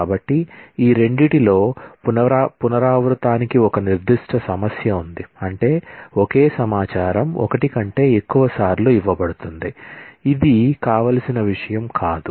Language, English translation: Telugu, So, there is a certain issue of redundancy in these two, that is, the same information is given more than once, which is not a very desirable thing